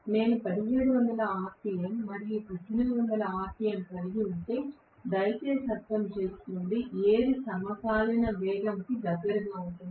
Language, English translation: Telugu, Please understand if I am going to have 1760 rpm and 1800 rpm will be the synchronous speed whatever is the closest